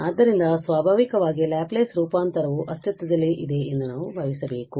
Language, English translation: Kannada, So, naturally, we have to assume that the Laplace transform exist